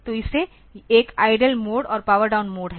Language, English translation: Hindi, So, this has got one idle mode and a power down mode